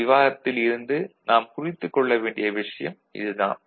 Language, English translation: Tamil, So, this is what we take note of from this particular discussion